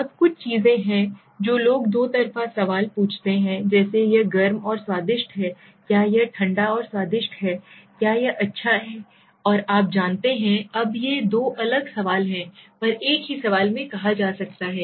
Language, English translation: Hindi, Now there are some things people ask double barreled questions like is it hot and tasty, is it cold and tasty, is it good and you know productive now these are two different things being asked at the same, in the same question